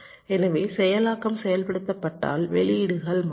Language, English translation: Tamil, so if i disable it, then the outputs will not change